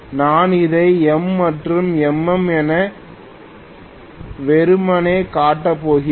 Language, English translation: Tamil, I am going to show this as M and MM simply